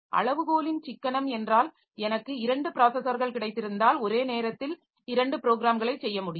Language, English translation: Tamil, So, economy of scale means so if I have got two processors then I can do two programs simultaneously